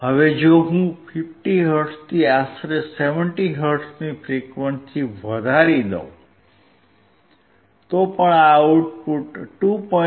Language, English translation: Gujarati, Now if I increase the frequency from 50 hertz to about 70 hertz, still my output is 2